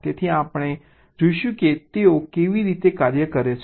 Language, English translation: Gujarati, so we shall see how they work